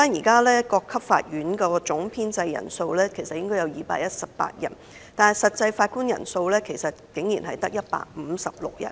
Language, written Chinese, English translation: Cantonese, 各級法院的總編制人數應為218人，但實際人數竟然只有156人。, The overall establishment of all levels of court is 218 posts yet only 156 posts are filled